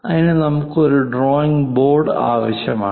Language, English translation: Malayalam, We require a drawing board